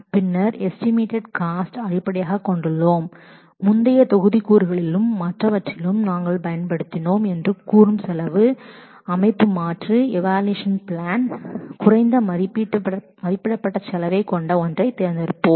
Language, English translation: Tamil, And then we put the cost estimates based on the cost structure that say we had used in the other in the earlier module and from these alternate evaluation plans we will choose the one that will have the least estimated cost